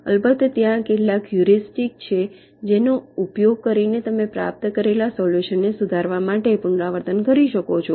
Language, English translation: Gujarati, and of course there are some heuristics using which you can iterate to improve upon the solution obtained